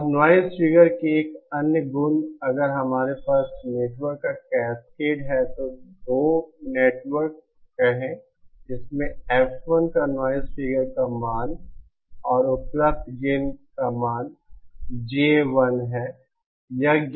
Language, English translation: Hindi, Now one other property of noise figure if we have a cascade of networks, say 2 networks, this has a noise figure value of F1 and available gain value GA1